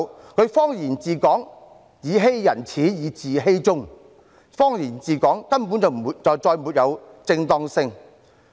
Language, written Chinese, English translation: Cantonese, 她以謊言治港，"以欺人始，以自欺終"，謊言治港，根本就再沒有正當性。, She governs Hong Kong with lies . One who starts with lies ends with self - deception . She has no legitimacy anymore in governing Hong Kong with lies